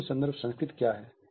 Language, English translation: Hindi, What is the low context culture